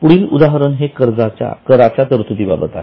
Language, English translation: Marathi, The next example is provision for tax